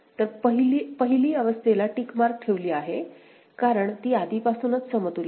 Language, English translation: Marathi, So, the first condition is put a tick mark because it is already equivalent right